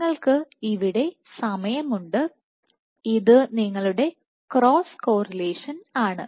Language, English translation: Malayalam, So, you have time here this is your cross correlation